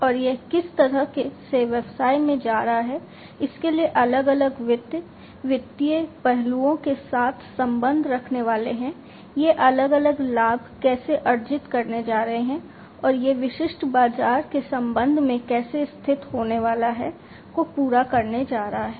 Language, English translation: Hindi, And how it is going to the business is going to be positioned with respect to the different finances, the financial aspects, how it is going to earn the different profits, and how it is going to be positioned with respect to the specific marketplace that it is going to cater to